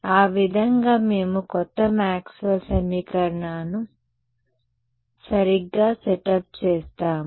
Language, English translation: Telugu, That is how we set up the new Maxwell’s equation as we call them right